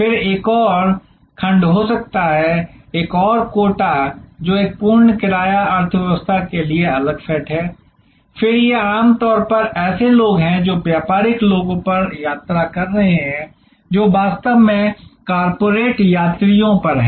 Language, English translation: Hindi, Then, there can be another section another quota, which is set aside for a full fare economy again these are usually people who are traveling on business people who are actually on corporate travelers